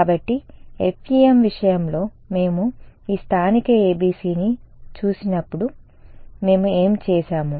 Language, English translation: Telugu, So, as before when we looked at this local ABC in the case of FEM what did we do